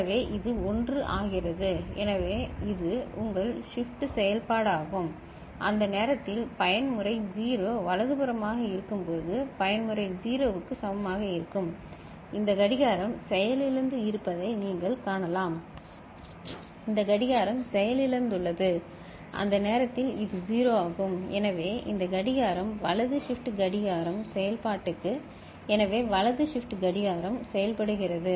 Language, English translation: Tamil, So, that is your right shift operation and at that time when mode is equal to 0 right, mode is equal to 0 you can see that this clock is defunct ok; this clock is defunct right at that time this is 1, so this clock is, right shift clock is functional ok, so right shift clock is functional